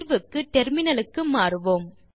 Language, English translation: Tamil, Switch to the terminal now